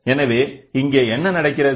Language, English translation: Tamil, So, here what happens